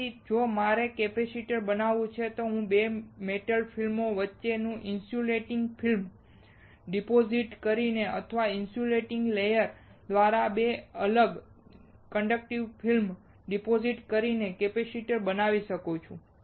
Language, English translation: Gujarati, So, if I want to fabricate a capacitor, I can fabricate a capacitor by depositing an insulating film between 2 metal films or depositing 2 conductive film separated by an insulating layer